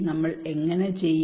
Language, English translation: Malayalam, How do we do